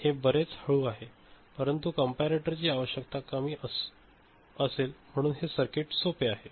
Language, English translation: Marathi, So, it is much slower, but number of comparator requirement is less and this circuit is simpler ok